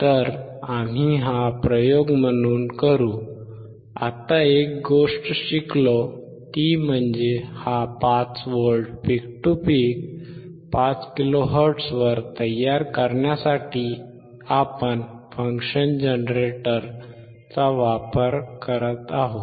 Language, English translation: Marathi, So, we will do this experiment so, the one thing that we have now learn is that for generating this 5V peak to peak 5 kilo hertz; for that we are using the function generator